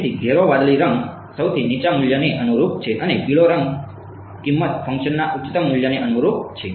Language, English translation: Gujarati, So, dark blue color corresponds to lowest value and yellow colour corresponds to highest value of cost function ok